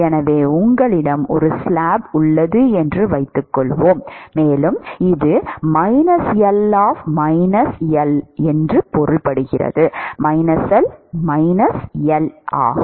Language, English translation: Tamil, So, supposing you have a slab, and this is plus L minus L